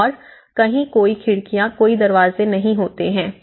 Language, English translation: Hindi, There is no windows, there is no doors nothing